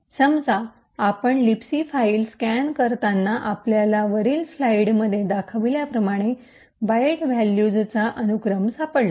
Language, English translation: Marathi, Let us say while a scanning the libc file we found a sequence of byte values as follows